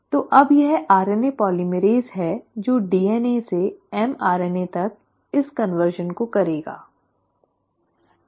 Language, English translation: Hindi, So now its the RNA polymerase which will do this conversion from DNA to mRNA